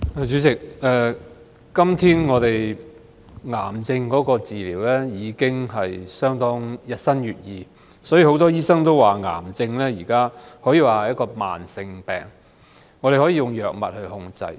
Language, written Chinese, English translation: Cantonese, 主席，癌症治療日新月異，所以很多醫生都說，癌症可說是一種慢性疾病，可以用藥物來控制。, President new cancer treatment options are ever - changing . This is why many doctors say that cancer may be regarded as a chronic illness controllable with drugs